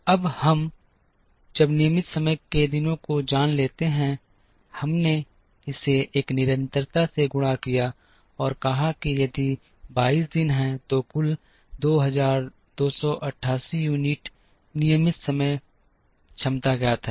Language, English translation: Hindi, Now, once we know the regular time days, we multiplied it by a constant and said that if there are 22 days total of 2288 units of regular time capacity is known